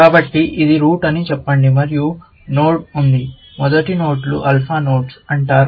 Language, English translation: Telugu, So, let us say this is the root and there is a node; first nodes are called alpha nodes